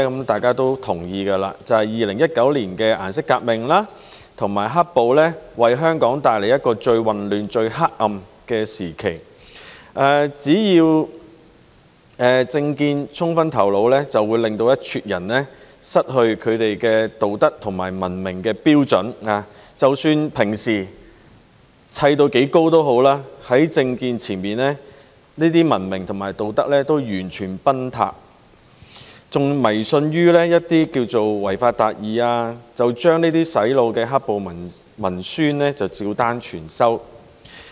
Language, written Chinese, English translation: Cantonese, 大家也同意 ，2019 年的顏色革命和"黑暴"為香港帶來最混亂、最黑暗的時期，一撮人只要被政見沖昏頭腦，便會失去他們的道德和文明標準，即使平時堆砌得多高也好，在政見前，這些文明和道德標準均完全崩塌，更迷信於違法達義，將這些洗腦的"黑暴"文宣照單全收。, We all agree that Hong Kong experienced the worst turmoil and the darkest days during the colour revolution and black - clad violence in 2019 . A group of people would lose their moral and civilized standards when they were carried away by political enthusiasm . No matter how high their civilized and moral standards appeared to be under normal circumstances these standards collapsed in front of political enthusiasm